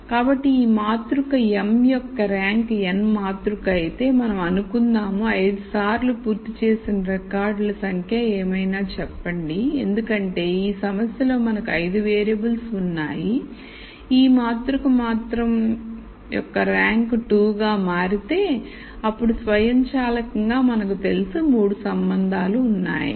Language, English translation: Telugu, So, if it turns out that if the rank of this matrix m by n matrix, let us say whatever is the number of records that are complete times 5, because we have 5 variables in this problem, if the rank of this matrix turns out to be 2, then we automatically know that there are 3 relationships